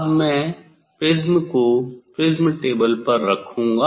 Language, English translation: Hindi, Now, I will put the prism on the prism table